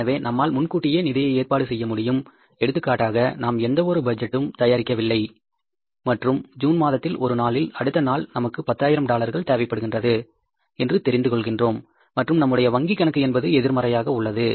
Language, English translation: Tamil, For example, we come to know maybe we have not prepared any budget and in the month of June we come to know that say tomorrow we have made to make a payment of $10,000 and our bank balance is negative